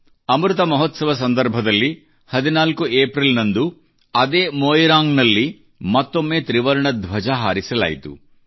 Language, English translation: Kannada, During Amrit Mahotsav, on the 14th of April, the Tricolour was once again hoisted at that very Moirang